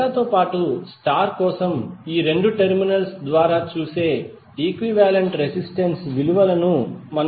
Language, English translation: Telugu, We are going to find the value of the equivalent resistances seeing through these 2 terminals for delta as well as star